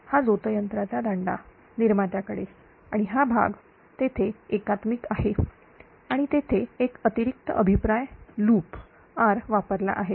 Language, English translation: Marathi, These turbines shaft to generator, and this portion again is there integrator and one additional feedback loop R is used there, right